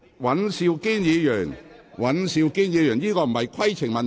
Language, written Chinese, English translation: Cantonese, 尹兆堅議員，這並非規程問題。, Mr Andrew WAN this is not a point of order